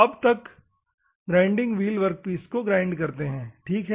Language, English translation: Hindi, Now, these grinding wheel grind on the workpiece